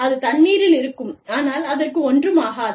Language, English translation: Tamil, It will be in water, but nothing will happen to it